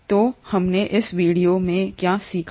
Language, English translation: Hindi, So what have we learnt in this video